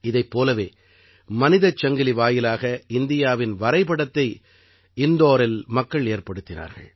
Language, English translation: Tamil, Similarly, people in Indore made the map of India through a human chain